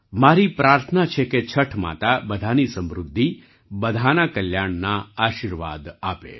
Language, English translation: Gujarati, I pray that Chhath Maiya bless everyone with prosperity and well being